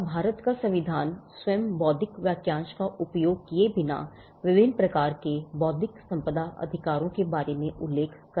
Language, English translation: Hindi, And the Constitution of India does mention about the different types of intellectual property rights without using the phrase intellectual property itself